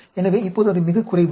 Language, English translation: Tamil, So, it is the shortest now